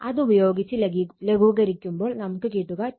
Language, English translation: Malayalam, So, you just simplify, it will get 2